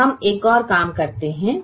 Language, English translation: Hindi, now let us do one more thing